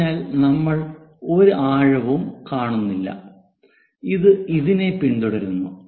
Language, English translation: Malayalam, So, we do not see anything depth and this one follows that one